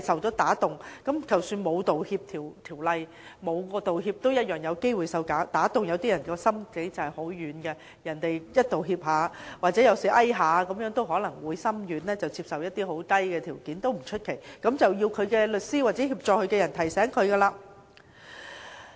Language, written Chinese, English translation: Cantonese, 即使沒有《道歉條例》或作出道歉，受屈人同樣有機會被打動，因為有些人心腸軟，只要對方道歉或被遊說便會心軟，接受一些很低的條件，這也不足為奇，這要靠律師或協助他的人給予提醒。, Even if there is not any apology legislation or no apology is made some people who are tender - hearted will still be persuaded to accept less favourable terms . This is nothing to be surprised at . The lawyer or the person helping the complainant should remind the complainant